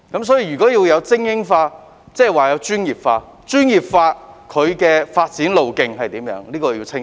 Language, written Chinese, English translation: Cantonese, 所以，如果要精英化，便要專業化，為他們提供清晰的發展路徑。, Therefore if the Government is to support elite sports it should professionalize sports and provide clear career pathways for athletes